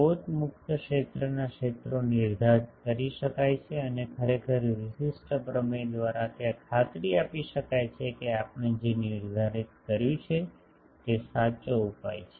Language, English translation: Gujarati, The fields in the source free region can be determined and actually by uniqueness theorem there is a guarantee that, what we determined that is the correct solution